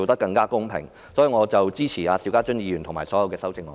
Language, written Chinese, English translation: Cantonese, 因此，我支持邵家臻議員的議案和所有修正案。, For this reason I support Mr SHIU Ka - chuns motion and all the amendments